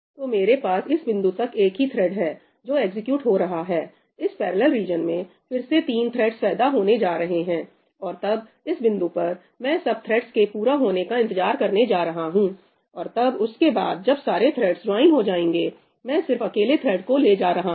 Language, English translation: Hindi, So, I will have a single thread executing till this point, in this parallel region again three threads are going to get spawned and then in this point I am going to wait for all the threads to complete, and then this single thread is going to carry on only after all the other threads have joined